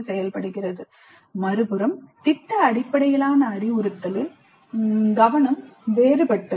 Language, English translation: Tamil, On the other hand the project based instructions focus is different